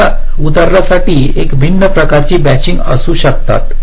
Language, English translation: Marathi, so, for this example, there can be a so much different kind of matchings